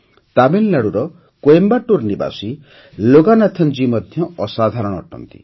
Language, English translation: Odia, Loganathanji, who lives in Coimbatore, Tamil Nadu, is incomparable